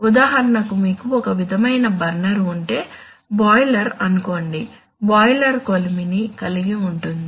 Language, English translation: Telugu, For example, let us say if you have a any kind of burner, let us say a boiler, so boiler has a furnace